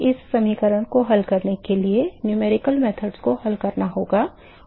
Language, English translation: Hindi, So, one has to find this solution is the numerical methods to solve this equation